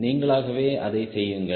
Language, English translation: Tamil, right, do it yourself